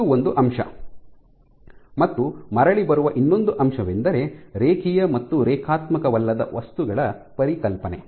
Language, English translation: Kannada, So, this is one aspect, other aspect again coming back to the linear versus you know non linear materials